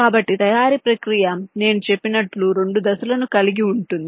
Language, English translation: Telugu, so manufacturing process, as i said, comprises of two steps